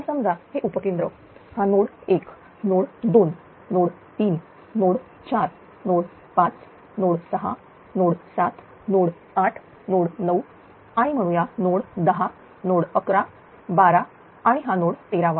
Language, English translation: Marathi, So, suppose this is substation, this is substation this is node 1, node 2, node 3, node 4, node 5, node 6, node 7, node 8, node 9, and say node 10, node 11, 12 say this is thirteen node everywhere load is there